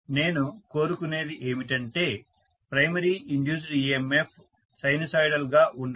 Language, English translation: Telugu, What I want is the primary induced EMF to be sinusoidal